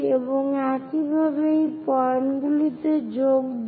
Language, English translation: Bengali, And similarly, join these points